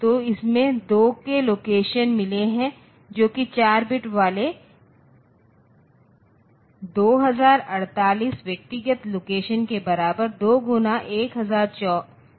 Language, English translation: Hindi, So, it has got 2 k locations in it that is 2 into 1024 the 2048 locations are there and individual locations